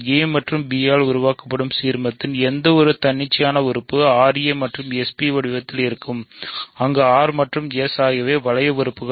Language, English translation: Tamil, Any arbitrary element of the ideal generated by a and b is of the form r a plus s b where r and s are two ring elements